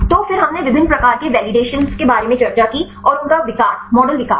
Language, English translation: Hindi, So, then we discussed about the various types of validations and they develop, model development